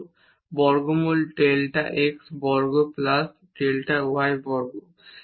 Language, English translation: Bengali, So, we get this delta set as square root delta x and delta y